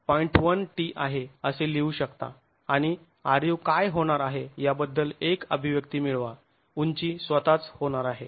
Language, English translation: Marathi, 1T and then get an expression for what the r u is going to be the rise itself is going to be